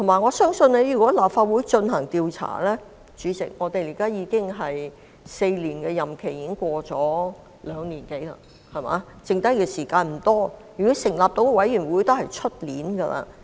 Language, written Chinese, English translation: Cantonese, 再者，主席，如果由立法會進行調查，現時4年的任期已過了兩年多，餘下時間已無多，而即使要成立委員會，也會是明年的事。, In addition President if an inquiry is to be conducted by the Legislative Council we do not have much time left in the current four - year term as we are more than two years into it . And even if a committee is to be set up it will not happen until next year